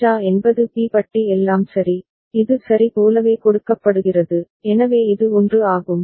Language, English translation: Tamil, JA is B bar all right, it is fed back like this ok, so this is 1